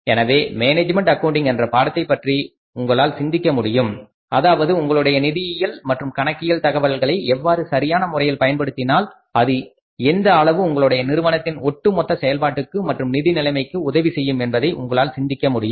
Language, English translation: Tamil, So, you can think about the importance of this subject management accounting that how your financials or accounting information if we used in the right perspective then how to what extent it can help the firms to improve its overall operating at the financial position